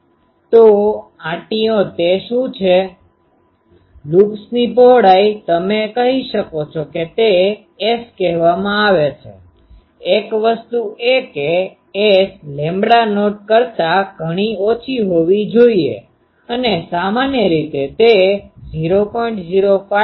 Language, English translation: Gujarati, So, loops what is that, loops width you can say is called S and this S is usually, S should be one thing much less than lambda not and usually it is at less than 0